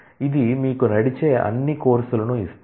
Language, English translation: Telugu, This will give you all courses that run